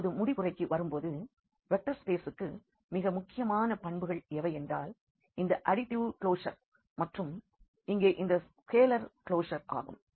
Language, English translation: Tamil, And, now coming to the conclusion, so, for the vector space the most important properties were these additive closer and this the scalar closer here